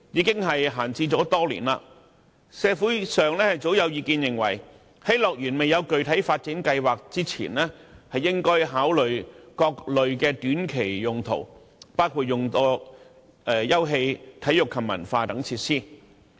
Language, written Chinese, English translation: Cantonese, 該幅土地已閒置多年，社會上早有意見認為，在樂園未有具體發展計劃前，政府應考慮各類的短期用途，包括用作休憩、體育及文化設施。, As that piece of land has remained idle for many years there have long been views in the community that the Government should consider using the land for different short - term uses such as facilities for leisure sports and culture before HKDL has any specific development plan